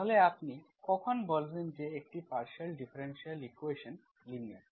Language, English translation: Bengali, So when do you say a partial differential equation is linear